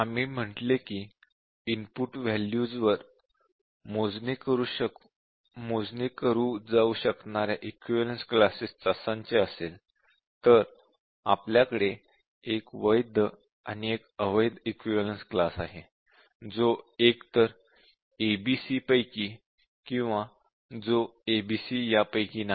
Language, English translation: Marathi, We said that if the input value is enumerated set of equivalence classes then we have 1 valid equivalence class and 1 invalid equivalence class, which is either a, b, c or which is neither of a, b, c